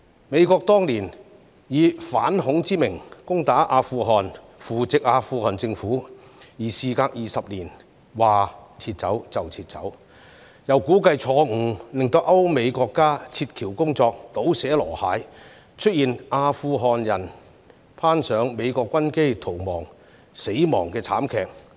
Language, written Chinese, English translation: Cantonese, 美國當年以反恐之名攻打阿富汗，扶植阿富汗政府，而事隔20年說撤走便撤走，又估計錯誤，令歐美國家撤僑工作"倒瀉籮蟹"，出現阿富汗人攀上美國軍機逃亡時死亡的慘劇。, Back then the United States invaded Afghanistan in the name of anti - terrorism and nurtured the Afghan Government . Twenty years later it withdrew its troops in an abrupt manner and made a miscalculation which caused disarray in the evacuation of European and American citizens and led to the tragedies of escaping Afghans falling to their deaths from the American military planes which they had climbed onto